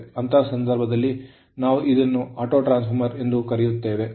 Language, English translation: Kannada, In that case, we call this as a Autotransformer